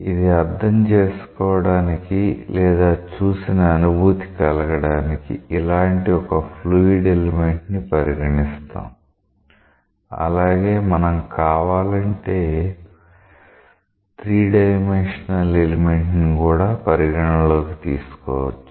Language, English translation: Telugu, To understand or to get a visual feel, we will consider a fluid element like this; maybe we may consider even a 3 dimensional fluid element if you want